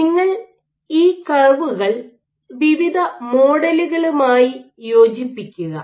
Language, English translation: Malayalam, So, what you do is you fit these curves to various models